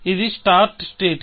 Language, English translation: Telugu, That is my starting state